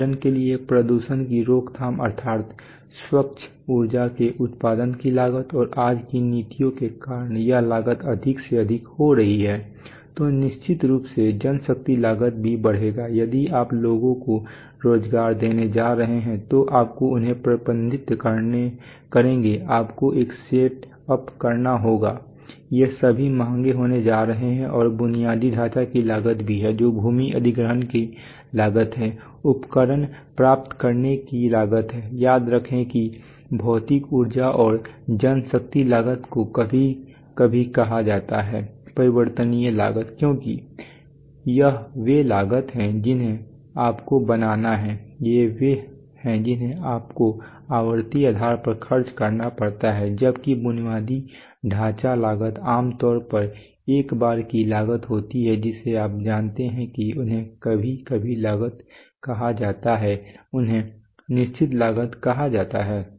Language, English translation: Hindi, For example that is prevention of pollution that is the that is the cost of producing clean energy right and because of policies today state policies that cost is becoming more and more, then of course manpower costs if you are going to employ people you will have to manage them you have to make a set up all these are going to be expensive and there is also infrastructure cost, that is the cost of acquiring land, the cost of acquiring equipment, remember that the that while material energy and manpower costs are sometimes called variable costs because they are they are costs which you have to make they are which you have to incur on a on a recurring basis while infrastructure cost is generally one time costs you know they are called sometimes costs they are called fixed costs